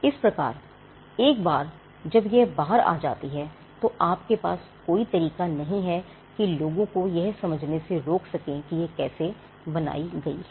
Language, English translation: Hindi, So, once it is out there is no way you can exclude people from taking effect of it or in understanding how that particular thing was done